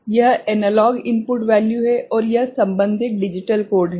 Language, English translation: Hindi, So, this is the analog input value, and the corresponding digital code right